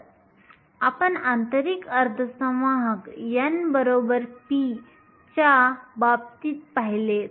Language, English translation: Marathi, So, we saw that in case of an intrinsic semiconductor n is equal to p